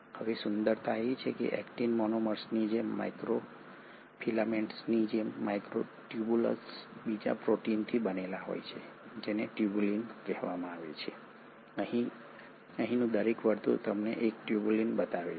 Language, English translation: Gujarati, Now the beauty is, just like actin monomers, just like microfilaments the microtubules are made up of another protein called as tubulin and each circle here shows you a tubulin